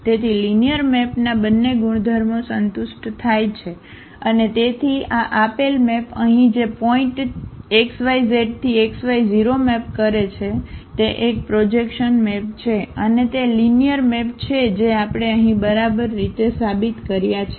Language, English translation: Gujarati, So, both the properties of the linear map a satisfied are satisfied and therefore, this given map here which maps the point x y z to x y 0; it is a projection map and that is linear map which we have just proved here ok